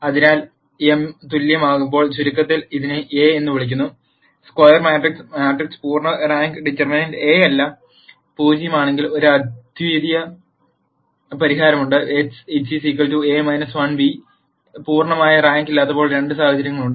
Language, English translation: Malayalam, So, to summarize when m equal n this is what is called a square matrix, and if the matrix is full rank determinant A not equal to 0, then there is a unique solution x equal to A inverse b, and when A is not full rank there are two situations that are possible